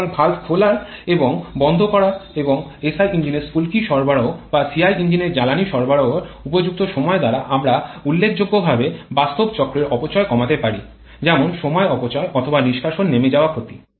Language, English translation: Bengali, So, by suitable timing of valve opening and closing and also providing the spark in case of a SI engine or fuel injection of CI engine we can significantly reduce the actual cycle losses like the time losses or exhaust blowdown losses